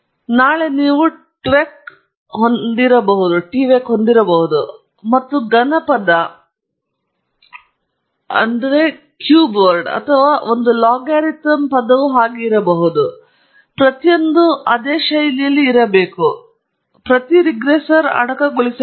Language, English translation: Kannada, Tomorrow you may have tvec plus may be cubic term or a logarithm term something like that; all of that has to be each regressor has to be encased in a similar fashion like this alright